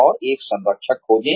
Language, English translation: Hindi, And, find a mentor